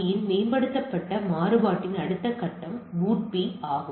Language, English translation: Tamil, So, what we say that the next step of on upgraded variant of RARP is the BOOTP